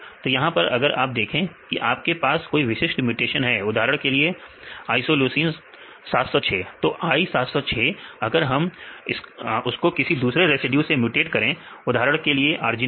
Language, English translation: Hindi, So, you can see now if you have a particular mutation for example, is Isoleucine 706, I706 if we mutate to other residues for example, arginine